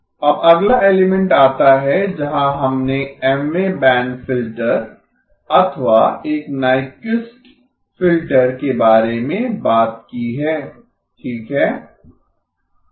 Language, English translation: Hindi, Now comes the next element where we talked about the Mth band filter or a Nyquist filter okay